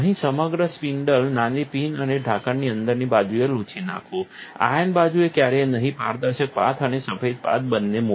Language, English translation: Gujarati, Here, wipe the entire spindle, also the small pin and the inside of the lid, never the ion side put both transparent path and the white paths